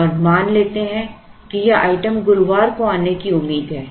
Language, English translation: Hindi, And let us assume that this item is expected to come on Thursday